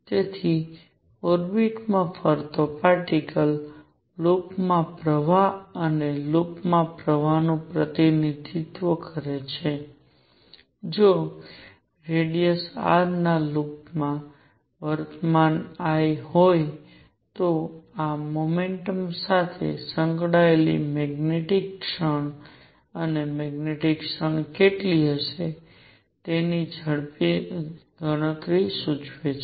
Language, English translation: Gujarati, So, a particle moving in an orbit, represents a current in a loop and current in a loop, if there is a current I in a loop of radius R, this implies magnetic moment associated with the motion and just a quick calculation how much will be the magnetic moment